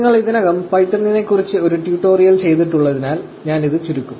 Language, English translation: Malayalam, Also then in python, since you have already done a tutorial on python, I will keep it really short